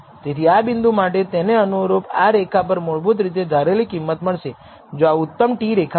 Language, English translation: Gujarati, So, for this point it is actually the corresponding predicted value will lie on this line here if this is the best t line